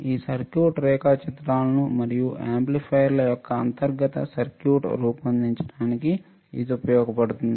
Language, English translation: Telugu, It is used to design this circuit diagrams or the internal circuit of the amplifiers and lot more